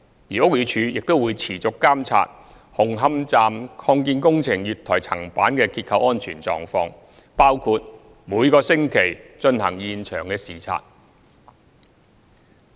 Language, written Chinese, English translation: Cantonese, 而屋宇署亦會持續監察紅磡站擴建工程月台層板的結構安全狀況，包括每星期進行現場視察。, And BD will continue to monitor the structural safety of the platform of the Hung Hom Station Extension including weekly site inspections